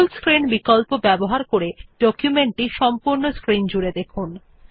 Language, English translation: Bengali, Use the Full Screenoption to get a full screen view of the document